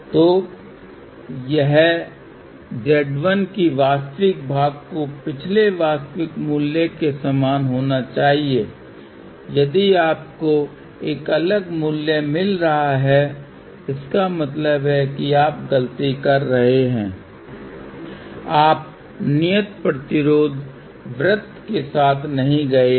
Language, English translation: Hindi, So, for this Z 1, the real part has to be exactly same as the previous real value if you are getting a different value; that means, you are made a mistake, you have not move along the constant resistance circle